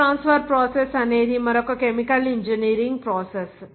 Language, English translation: Telugu, And the heat transfer process is also another chemical engineering process